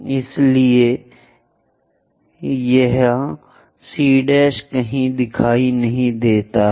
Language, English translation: Hindi, So, it is not visible somewhere here C prime